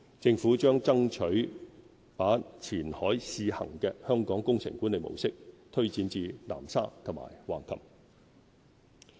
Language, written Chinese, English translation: Cantonese, 政府將爭取把前海試行的香港工程管理模式推展至南沙和橫琴。, The Government will seek to extend Hong Kongs project management model which is being practised on a trial basis in Qianhai to Nansha and Hengqin